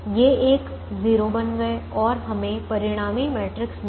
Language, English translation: Hindi, so this two became one, these ones became zero and we got a resultant matrix